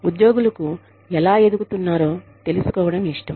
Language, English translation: Telugu, Employees like to know, how they can grow